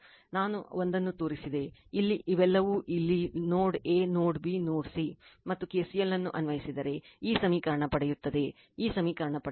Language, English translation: Kannada, I showed you one, here is all these all these your here at node A node B node C you apply KCL and you will get this equation, your right you will get this equation